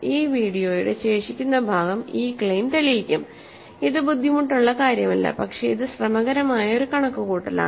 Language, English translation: Malayalam, The remaining part of this video will be proving this claim which is which is not difficult, but it is a tedious calculation